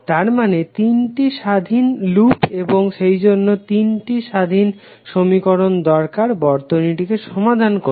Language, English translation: Bengali, That means that 3 independent loops and therefore 3 independent equations are required to solve the circuit